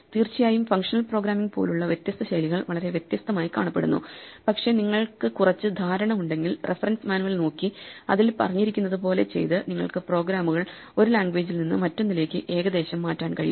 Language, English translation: Malayalam, Of course, there are different styles like functional programming which look very different, but more or less if you have a little bit of background, you can switch programs from one language to another by just looking up the reference manual and working with it